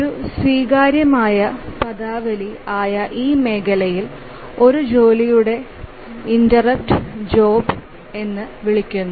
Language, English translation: Malayalam, In this area, that is accepted terminology that an instance of a task is called a job